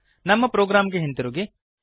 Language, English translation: Kannada, Come back ot our program